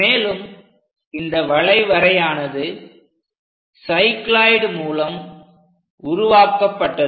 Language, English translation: Tamil, And this curve usually constructed by cycloid